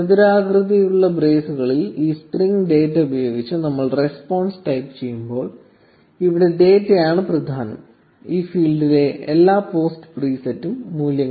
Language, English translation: Malayalam, So, when we say response with this string data in square braces, the data here is the key and the values is all the post preset in this field